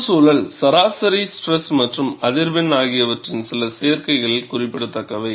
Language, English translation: Tamil, Certain combinations of environment, mean stress and frequency have a significant influence